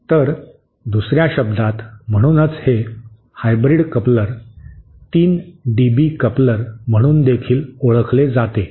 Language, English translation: Marathi, So, in other words, that is why this hybrid coupler is also known as the 3 dB coupler